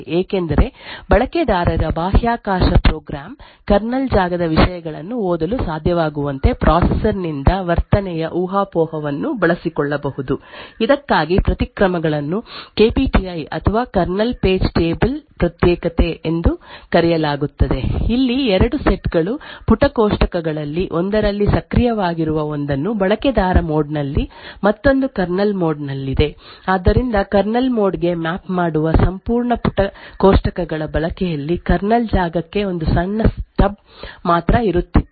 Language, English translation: Kannada, Now the Meltdown attack works because a user space program could exploit the speculative of behavior off the processor to be able to read contents of the kernel space the countermeasures work for this was known as KPTI or Kernel page table isolation in fact there where two sets of page tables one known of one which was activated in the was on user mode the other in the kernel mode so in the use of what the entire page tables that map to the kernel code was not present only a small stub for the kernel space was present so whenever the user space program invokes a system call it would be first trapped into this kernel space which would then shift more to the kernel mode and map the entire kernel space into the region similarly on return from the system call the virtual space would go back into this user mode now if a Meltdown type of attack was actually utilized it has to be done from the user space and therefore would not be able to actually read any of the kernel space memory because the kernel space memory is not mapped in this particular mode